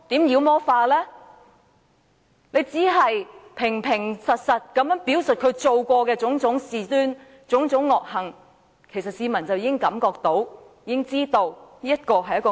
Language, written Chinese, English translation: Cantonese, 我們只要平實表述他做過的種種事端惡行，市民便已體會到他是一名惡魔。, We only need to give a plain account of his evil deeds and people will see that he is a ferocious demon